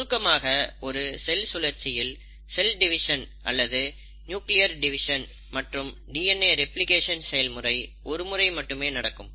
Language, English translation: Tamil, So, in one cell cycle, the cell division or the nuclear division and the DNA replication happens once